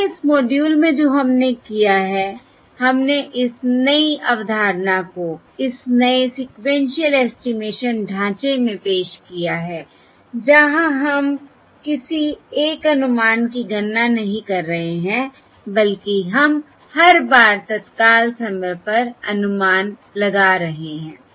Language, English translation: Hindi, alright, So in this module, what we have done is we have introduced this new concept, this new framework of sequential estimation, where we are not computing a single, single estimate, but rather we are updating the estimate at every time instant We are looking at it